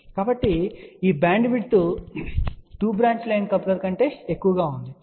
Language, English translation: Telugu, So, you can see that this bandwidth is more than a 2 branch line coupler